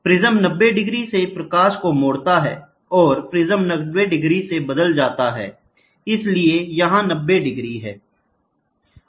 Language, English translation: Hindi, The prism turns the light by 90 degrees, prism turns by 90 degrees so, here 90 degrees